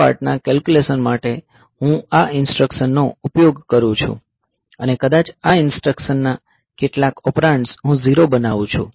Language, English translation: Gujarati, So, for this part of the calculation, I use this instruction, and maybe some of the operands of this instruction I make them zero